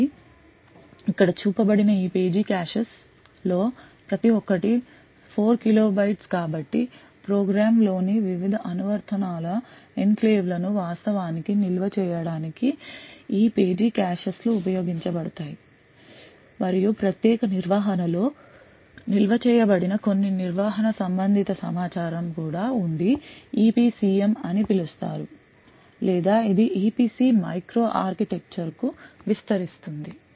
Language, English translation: Telugu, So each of this page caches which is shown over here is of 4 kilo bytes so this page caches are used to actually store the enclaves of the various applications present in the program and also there is some management related information which is stored in a special region known as the EPCM or which expands to EPC Micro Architecture